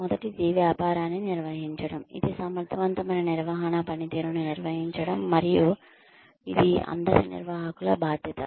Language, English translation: Telugu, The first is managing the business, which is effective management is managing performance, and is the responsibility of all managers